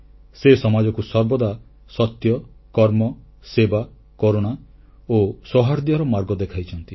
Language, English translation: Odia, He always showed the path of truth, work, service, kindness and amity to the society